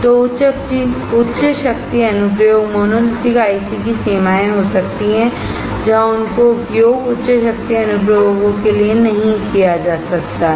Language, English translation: Hindi, So, high power application can be the limitations of monolithic ICs, where they cannot be used for high power applications